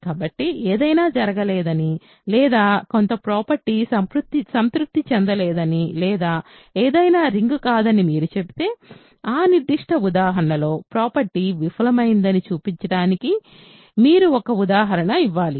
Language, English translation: Telugu, So, if you say that something does not happen or some property is not satisfied or something is not a ring, you have to give an example to show that the property fails in that particular example